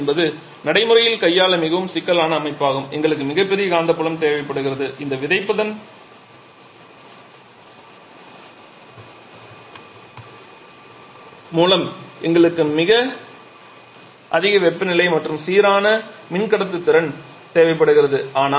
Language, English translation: Tamil, so MHD is a very complicated system to handle in practice we require huge magnetic field we require extremely high temperature and also decent level of electrical conductivity by virtue of this seeding